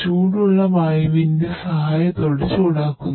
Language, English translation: Malayalam, And hot with the help of hot air